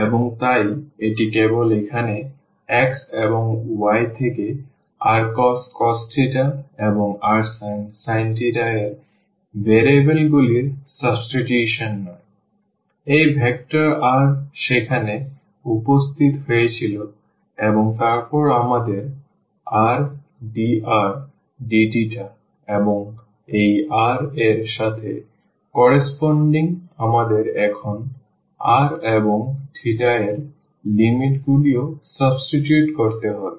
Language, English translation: Bengali, And so, it is not just the substitution of the variables here x and y 2 r cos theta and r sin theta, but also this vector r had appeared there and then we have r dr d theta and corresponding to this r we have to also substitute now the limits of the r and theta